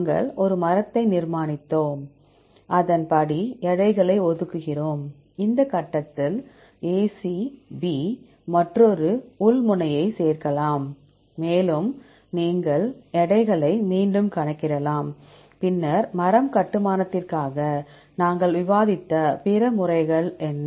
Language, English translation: Tamil, We construct a tree and accordingly we assign weights, it may be also possible to add another one internal node at (AC, B) at this point and you can recalculate the weights, then what are other methods we discussed for the tree construction